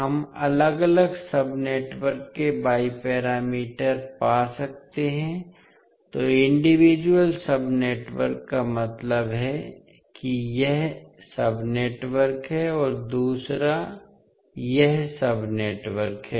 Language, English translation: Hindi, We can find the Y parameters of individual sub networks, so individual sub networks means one is this sub networks and another is this sub network